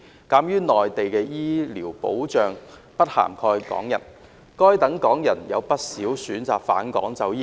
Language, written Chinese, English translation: Cantonese, 鑒於內地的醫療保障制度不涵蓋港人，該等港人有不少選擇返港就醫。, As the healthcare protection regime on the Mainland does not cover Hong Kong people quite a number of such Hong Kong people have opted for returning to Hong Kong to seek medical treatment